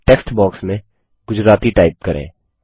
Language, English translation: Hindi, In the textbox, type the word Gujarati